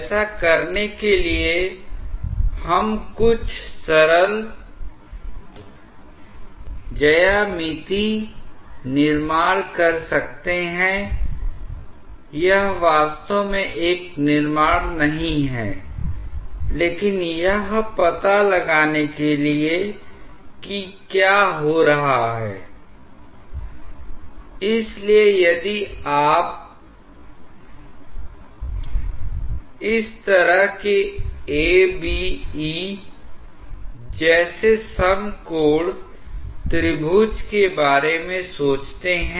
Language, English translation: Hindi, To do that, we may make some simple geometrical construction it is not actually a construction, but just to figure out what is happening, so, if you think of a right angle triangle like this maybe A prime, B prime, E prime